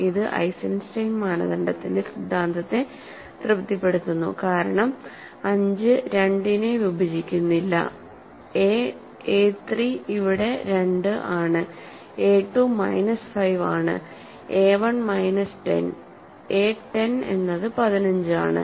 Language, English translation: Malayalam, So, it satisfies the hypothesis of the Eisenstein criterion because 5 does not divide 2, a 3 here is 2, right a 3 is 2, a 2 is minus 5, a 1 is minus 10 a 0 is 15